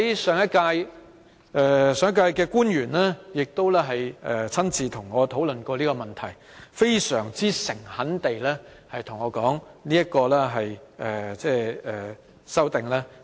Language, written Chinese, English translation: Cantonese, 上屆政府的官員亦親自和我討論過這個問題，他們非常誠懇地對我說，希望《條例草案》盡早通過。, Officials of the last - term Government had also discussed the issue with me in person . They sincerely said to me that they hoped the Bill could be passed as soon as possible